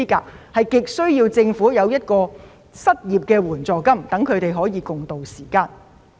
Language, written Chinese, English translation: Cantonese, 所以，他們急需政府提供失業援助金，一起共渡時艱。, So they urgently need the Governments unemployment financial assistance so as to overcome the difficulties